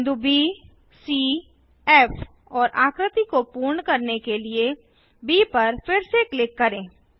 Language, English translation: Hindi, Click on the points B C F and B once again to complete the figure